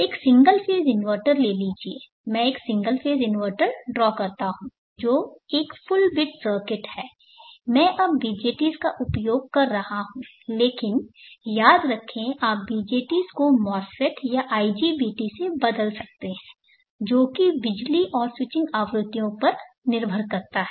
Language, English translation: Hindi, Take a single phase inverter, let me draw the single phase inverter which is a full bit circuit, I am using BJTs now, but remember that you can replace the BJTs with MOSFETs or IGBTs as depending upon the power and switching frequencies